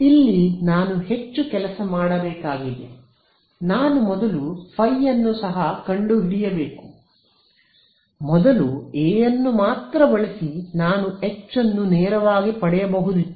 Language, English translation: Kannada, Here I have to do more work right I have to also find phi, earlier if I used only A, I could get H straight away ok